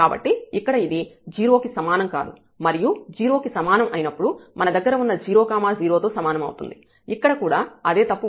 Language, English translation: Telugu, So, here it is non equal to 0, and when equal to 0 we have the 0 0 may be the same here also the same mistake